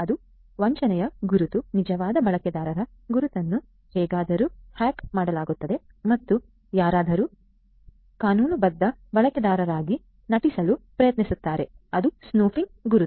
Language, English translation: Kannada, So, identity of a genuine user will be somehow hacked and will be you know somebody will be trying to pose as a legitimate user that is the spoofing identity